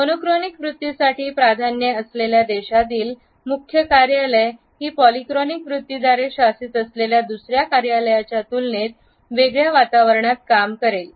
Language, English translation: Marathi, A head office situated in a country where the preferences for monochronic attitudes would work in a different atmosphere in comparison to another office which is situated in a country which is governed by the polychronic attitude